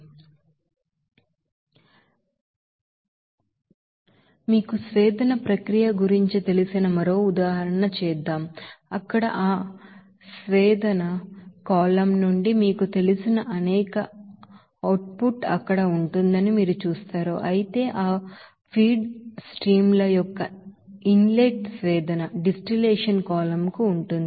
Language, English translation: Telugu, Let us do another example of you know distillation process where you will see that several you know output from that distillation column will be there whereas one inlet of that feed streams will be there to the distillation column